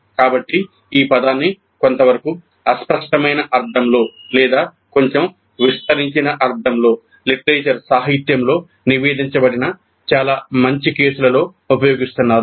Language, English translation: Telugu, So, the term is being used somewhat in a slightly vague sense or in a slightly expanded sense in quite a good number of cases reported in the literature